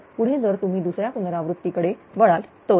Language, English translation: Marathi, So, next if you move to the second iteration